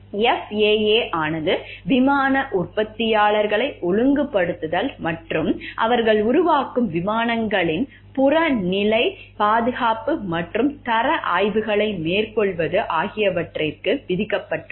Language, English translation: Tamil, The FAA is charged with regulating airplane manufacturers and making objective safety and quality inspections of the airplanes they build